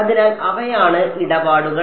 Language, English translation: Malayalam, So, those are the tradeoffs